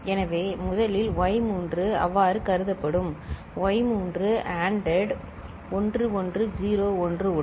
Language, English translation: Tamil, So, first the y3 will be considered so, y 3 ANDed with 1101